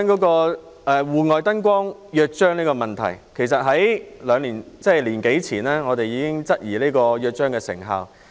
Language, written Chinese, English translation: Cantonese, 關於《戶外燈光約章》的問題。其實，我們在1年多前已質疑《約章》的成效。, With regard to the Charter on External Lighting we in fact doubted the effectiveness of the Charter more than a year ago